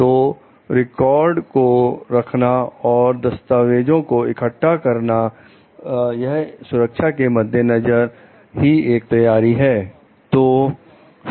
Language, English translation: Hindi, And keeping records and collecting papers is one of those safeguard measures